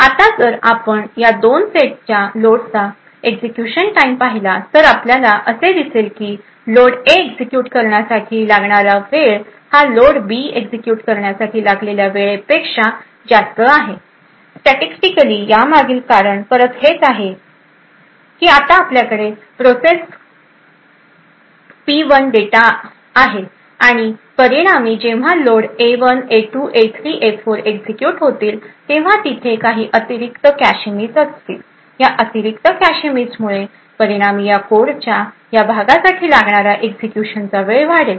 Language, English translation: Marathi, Now if we look at the execution time of these 2 sets of loads what we would see is the time taken for executing these A loads would be greater than the time taken for these B loads statistically again the reason be achieved this is due to the fact that we now have process P1 data present away here as a result when these load A1 A2 A3 and A4 get executed there would be some additional cache misses so that additional cache misses would result in increased execution time for this part of the code on the other hand when the loads to B1 B2 B3 or B4 are executed we similarly we as you shall get cache hits and therefore the time taken would be considerably lesser thus to transmit a value of 1 process P1 which is which for example is a top secret process would set the bit value to be equal to 1 which would then evict one particular cache line from the A set and as a result would influence the execution time of process P2 and therefore execution time for this part of the process P2 would be higher compared to the compared to the other part